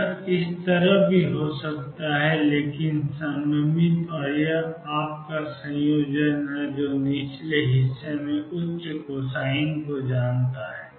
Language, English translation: Hindi, It could also be like this, but symmetric and this is the combination of you know higher cosine on the lower side